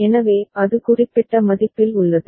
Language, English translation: Tamil, So, it is remaining at that particular value ok